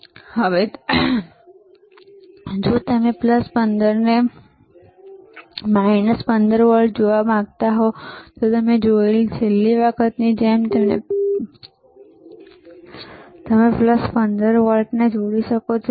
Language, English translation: Gujarati, Now, if you want to, if you want to see plus 15 volts and minus 15 volts, similar to last time that we have seen, what we can do can you can connect plus 15 volts